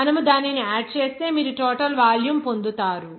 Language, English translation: Telugu, If you add it up, then you will get the total volume